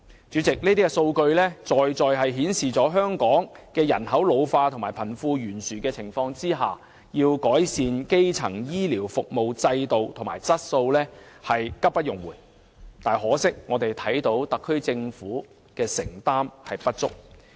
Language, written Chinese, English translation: Cantonese, 主席，上述數據說明了香港在面對人口老化和貧富懸殊的情況下，改善基層醫療服務制度及質素是急不容緩，但可惜特區政府的承擔不足。, President the above figures tell us the fact that faced by an ageing population and the wealth gap problem improving the system and quality of Hong Kongs primary health care service is a matter of urgency but regrettably the Government did not show enough signs of commitment in this regard